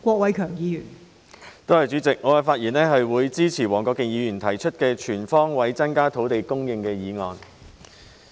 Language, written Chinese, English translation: Cantonese, 代理主席，我發言支持黃國健議員提出的"全方位增加土地供應"議案。, Deputy President I speak in support of Mr WONG Kwok - kins motion on Increasing land supply on all fronts